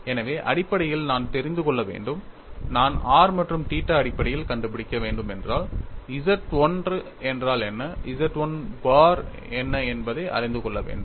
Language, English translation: Tamil, So, essentially I will have to know, if I have to find out in terms of r and theta, I will have to know what is what is Z 1 and what is Z 1 bar